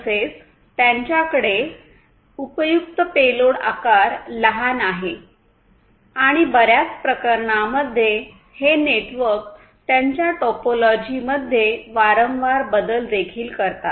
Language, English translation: Marathi, And they have tiny useful payload size and in most cases these networks also exhibit the behavior of frequent changes in their topology